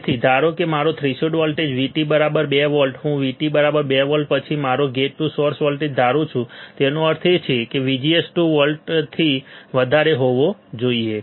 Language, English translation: Gujarati, So, assume that my threshold voltage V T equals to 2 volts, I am assuming V T equals to 2 volts then my gate to source voltage; that means, my VGS should be greater than 2 volts should be greater than 2 volts right